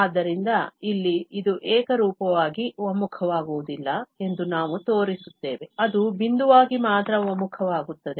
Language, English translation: Kannada, So, here, we will show that this does not converge uniformly, it converge only pointwise